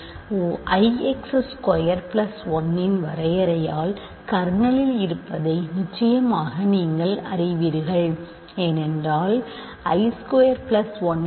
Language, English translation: Tamil, Certainly you know that by definition of I x square plus 1 is in the kernel write this is because I square plus 1 is 0